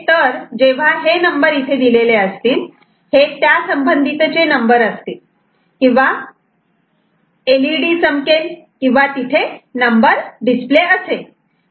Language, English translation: Marathi, So, whenever these numbers are there and this is a corresponding number will or LED will glow or some number display will be there